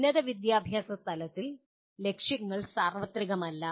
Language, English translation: Malayalam, And the at higher education level the aims are not that universal